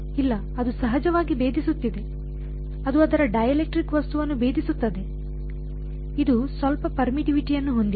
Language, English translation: Kannada, No, it is penetrating of course, its penetrating its dielectric object, it has some permittivity